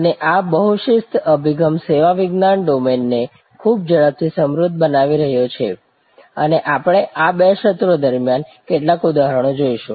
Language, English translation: Gujarati, And this multi disciplinary approach is enriching the service science domain very rapidly and we will see some examples during these two sessions